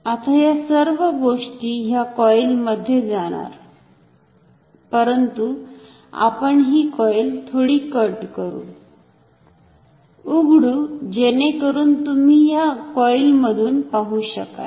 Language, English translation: Marathi, So, this entire thing will be inside this coil, but let me cut open this coil so that we can see through this coil slightly